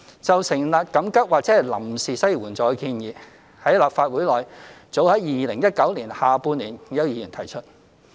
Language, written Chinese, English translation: Cantonese, 就成立緊急或臨時失業援助金的建議，在立法會內早於2019年下半年已有議員提出。, With regard to the proposal of setting up an emergency or temporary unemployment assistance it was put forward by Members of the Legislative Council as early as in the latter half of 2019